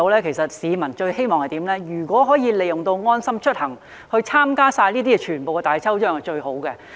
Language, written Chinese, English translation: Cantonese, 其實，市民最希望的是可以利用"安心出行"參加全部各項大抽獎。, In fact the greatest hope of members of the public is to make use of LeaveHomeSafe to enrol in all lucky draws